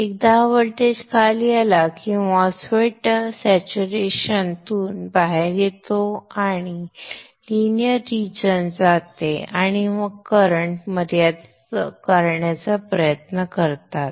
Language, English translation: Marathi, Once this voltage comes down, MOSFET comes out of saturation goes into the linear region and tries to limit the current flow here